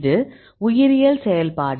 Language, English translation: Tamil, This is the biological activity